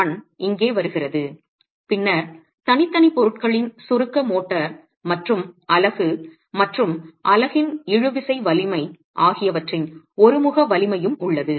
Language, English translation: Tamil, 1 that comes in here and then the uniaxial strength of the individual materials, compression motor and unit and tensile strength of the unit